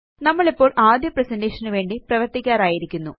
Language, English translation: Malayalam, We are now ready to work on our first presentation